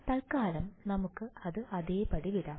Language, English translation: Malayalam, For now we will leave it as it is